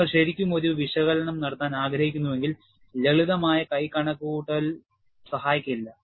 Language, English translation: Malayalam, But if you really want to do an analysis, simple hand calculation would not help